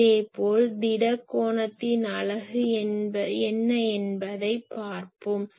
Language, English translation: Tamil, Similarly , the unit of solid angle is , so solid angle suppose